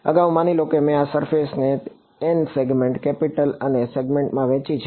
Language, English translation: Gujarati, Earlier supposing I broke up this surface into N segments, capital N segments